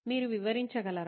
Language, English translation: Telugu, Can you explain